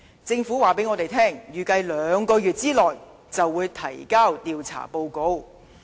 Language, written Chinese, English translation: Cantonese, 政府告訴我們，預計兩個月內便會提交調查報告。, The Government has told us that an investigation report is expected to be available within two months